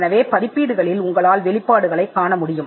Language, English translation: Tamil, So, publications are places where you would find disclosures